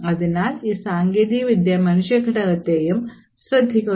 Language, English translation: Malayalam, So, this technique also takes care of human factor as well